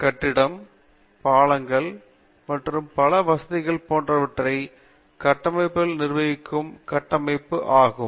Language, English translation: Tamil, Structural engineering, which deals with the construction of facilities like building, bridges and so on